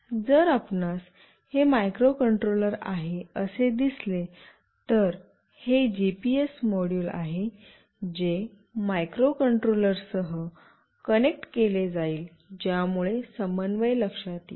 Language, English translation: Marathi, If you see this is the microcontroller, this is the GPS module, which will be connected with the microcontroller that will sense the coordinates